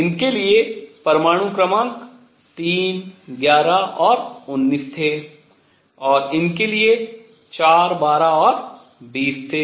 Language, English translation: Hindi, The atomic numbers for these were 3, 11 and 19, for these were 4, 12 and 20